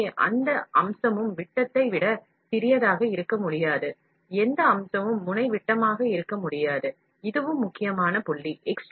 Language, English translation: Tamil, So, no feature can be smaller than the diameter, can be diameter of the nozzle diameter, this is also important point